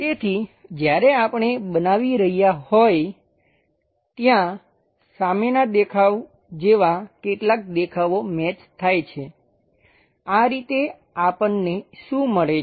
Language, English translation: Gujarati, So, when we are constructing that some of the views like front view matches this is the way what we got